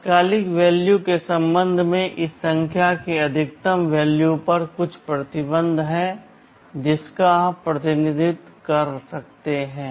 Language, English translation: Hindi, With respect to the immediate values there is some restriction on the maximum value of this number you can represent